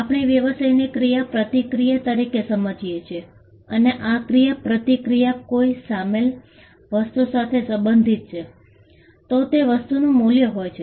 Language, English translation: Gujarati, We understand the business as an interaction and this interaction pertains to a thing, there is a thing involved and this thing has value